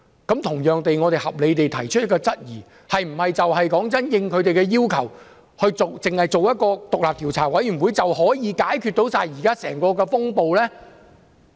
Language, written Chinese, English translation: Cantonese, 我們因此合理地提出質疑，是否應他們的要求成立獨立調查委員會，便可以解決整個風暴？, Therefore we have reasons to question whether establishing an independent commission of inquiry as requested would quell the unrest